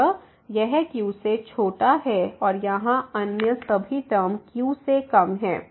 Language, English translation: Hindi, So, this is less than and all other terms here less than